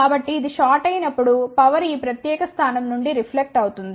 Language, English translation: Telugu, So, when this is shorted power will reflect from this particular point